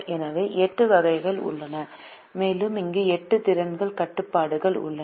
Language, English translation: Tamil, so there are eight arcs and we have eight capacity constraints which are given here